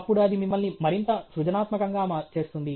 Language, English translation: Telugu, Then it will make you more and more creative okay